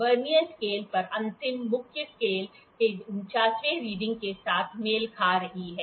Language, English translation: Hindi, The last reading on the Vernier scale is coinciding with the 49th reading of the main scale